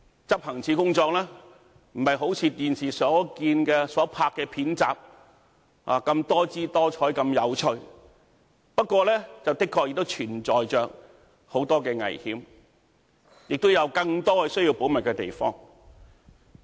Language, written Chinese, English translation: Cantonese, 執行處的工作並非如電視所看到的片集般多姿多采及有趣，不過，的確存在很多危險，亦有更多需要保密的地方。, The work in OD is not as multifarious and interesting as depicted in television dramas . Nevertheless it is rather dangerous and he always needs to keep confidentiality